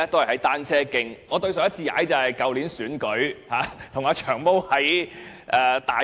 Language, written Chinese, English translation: Cantonese, 我上次踏單車，是在去年選舉時與"長毛"在大埔。, The last time I cycled was in Tai Po with Long Hair during the election last year